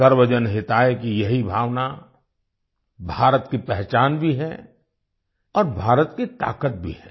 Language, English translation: Hindi, This spirit of Sarvajan Hitaaya is the hallmark of India as well as the strength of India